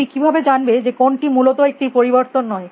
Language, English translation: Bengali, How do you figure out what is not change essentially